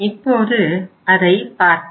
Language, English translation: Tamil, Now let us see what happens